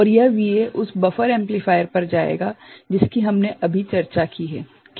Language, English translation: Hindi, And this VA will go to that buffer amplifier that we have just discussed is it ok